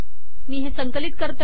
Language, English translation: Marathi, We compile it